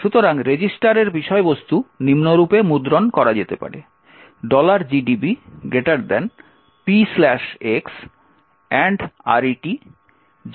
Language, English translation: Bengali, So, printing the content of register can be done as follows P slash x ampersand RET which is FFFFCF18